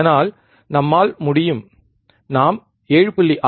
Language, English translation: Tamil, Thus, we can if we if we get the 7